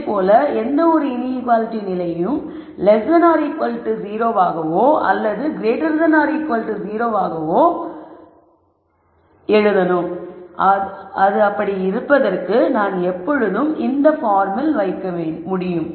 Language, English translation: Tamil, Similarly, any condition inequality condition whether it is greater than equal to 0 or less than equal to 0 I can always put it in this form